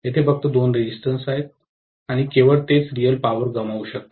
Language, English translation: Marathi, Only two resistances are there and only they can dissipate real power